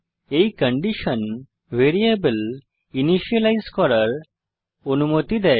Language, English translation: Bengali, This condition allows the variable to be initialized